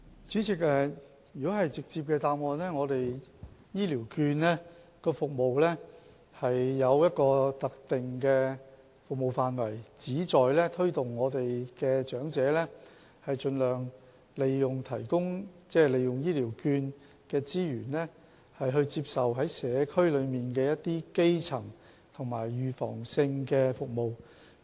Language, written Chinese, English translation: Cantonese, 主席，直接的答覆就是，醫療券有一個特定的服務範圍，旨在推動長者盡量利用醫療券的資源，在社區接受基層及預防性的醫療服務。, President my direct answer to the question is that the Health Care Voucher Scheme has a designated scope of service . It seeks to encourage the elderly to use the resources of Health Care Vouchers to receive primary and preventive health care services in the community